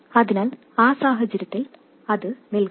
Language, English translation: Malayalam, So in that case, it will stop